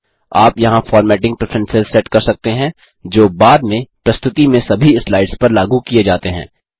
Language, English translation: Hindi, You can set formatting preferences here, which are then applied to all the slides in the presentation